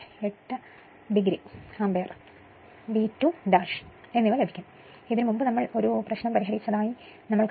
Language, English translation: Malayalam, 8 degree ampere right and V 2 dash, we know this earlier we have solved an problem